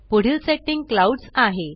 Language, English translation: Marathi, Next setting is Clouds